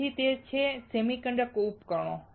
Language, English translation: Gujarati, So, that is that semiconductor devices